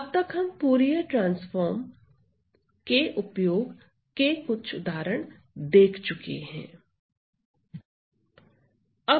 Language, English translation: Hindi, Ok, so far we have seen some examples of the use of Fourier transforms